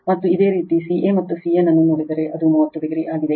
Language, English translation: Kannada, And if you look ca and cn, it is 30 degree right